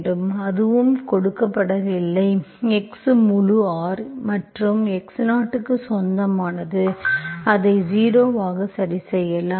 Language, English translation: Tamil, So if it is, nothing is given, you can take, x belongs to full R and x0 you can fix it as 0